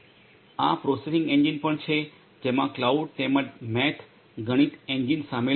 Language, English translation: Gujarati, This is also this processing engine which consists of the cloud as well as the Math Engine